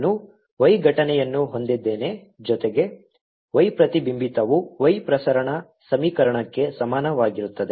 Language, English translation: Kannada, i have: y incident plus y reflected is equal to y transmitted